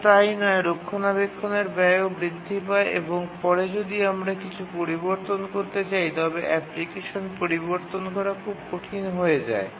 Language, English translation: Bengali, And not only that, maintenance cost increases later even to change something, becomes very difficult to change the application